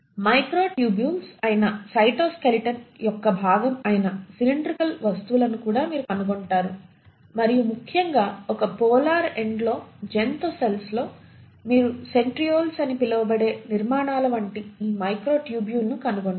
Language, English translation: Telugu, You also find the cylindrical objects which is the part of the cytoskeleton which is the microtubules and particularly in the animal cells at one polar end you find a pair of these microtubule like structures which are called as the Centrioles